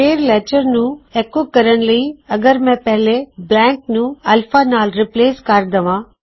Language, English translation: Punjabi, So , to echo out our letter, if I am going to replace the first blank with alpha